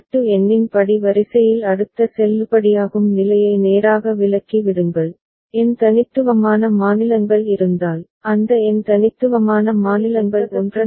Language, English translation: Tamil, Straight away the next valid state in the sequence as per the modulo number, if n unique states are there, those n unique states will be appearing one after another